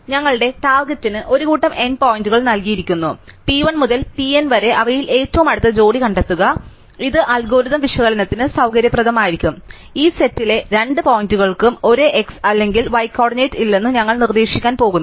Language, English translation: Malayalam, So, our target is given a set of n points p 1 to p n to find the closest pair among them and it will be convenient for the analysis of the algorithm that we are going to suggest that no two points in this set have the same x or y coordinate